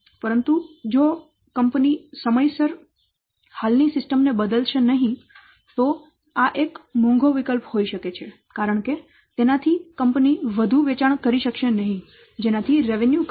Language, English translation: Gujarati, But if the company will not replace the existing system in time, that could be this could be an expensive option as it could lead to lost revenue